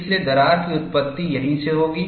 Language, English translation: Hindi, So, crack will originate from here